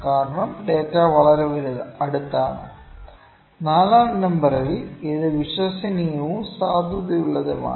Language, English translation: Malayalam, Because the data is too close, and in quadrant number 4 it is both reliable and valid